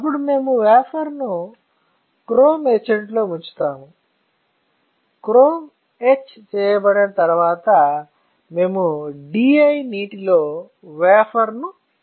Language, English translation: Telugu, Then we will dip the wafer in chrome etchant; once the chrome is etched we will dip the wafer in the DI water